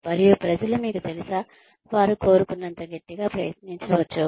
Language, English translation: Telugu, And, people need to, you know, they can try as hard as they want